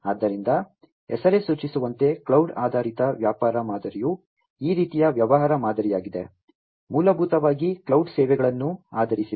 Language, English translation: Kannada, So, cloud based business model as the name suggests is this kind of business model, basically are heavily based on you know cloud cloud services